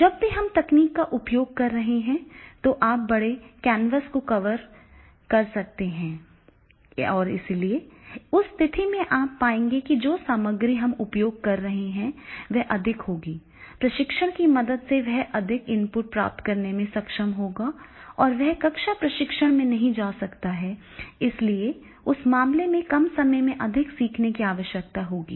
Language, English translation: Hindi, Now when we are using the technology so you can cover the large canvas and therefore in that case you will find that is the contents which we are using that will be more the training will get the more input which he may not get to the classroom training and therefore in that case in the short period of time more learning and therefore the use of technology that is becoming more and more efficient simultaneously that is a person is not very clear